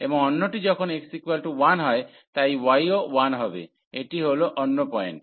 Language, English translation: Bengali, And the other one when x is equal to 1, so y is also 1 so, this is the another point